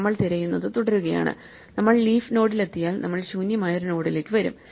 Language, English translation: Malayalam, So, we keep searching and if we reach the leaf node then we come to an empty node right